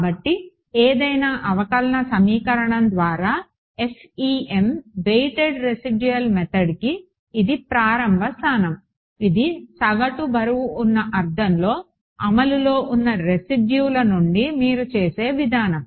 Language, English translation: Telugu, So, this is the starting point for the FEM weighted residual method by the way any differential equation this is the approach you will do from the residual in force in the average weighted sense